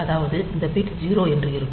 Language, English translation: Tamil, So, if this bit is 0